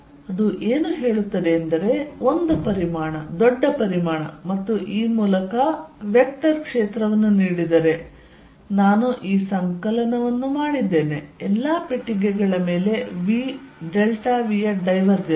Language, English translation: Kannada, What it says, is that given a volume large volume and vector field through this I did this summation divergence of v delta v over all boxes